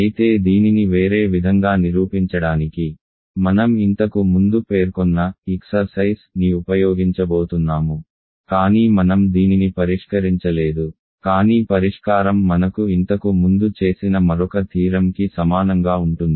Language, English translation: Telugu, So, I am going to use an exercise which I mentioned earlier, but I have I have not solved this, but the solution is exactly similar to another theorem that I have done earlier